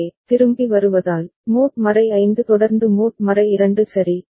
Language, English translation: Tamil, So, coming back, so mod 5 followed by mod 2 ok